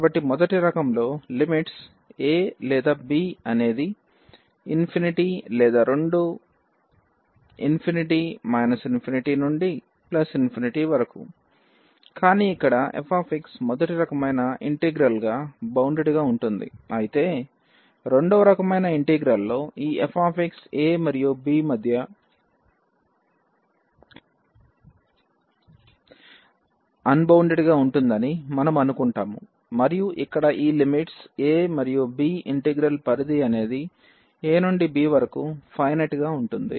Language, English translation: Telugu, So, in the first kind the limits either a or b is infinity or both are infinity minus infinity to plus infinity, but here the f x is bounded in the integral of first kind whereas, in the integral of the second kind we assume that this f x is unbounded between this a and b and these limits here the range of the integral is finite from this a to b